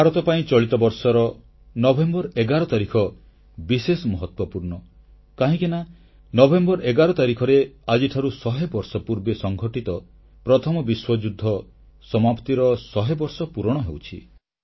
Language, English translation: Odia, For India, 11th of November this year has a special significance because on 11thNovember a hundred years back the World War I had ended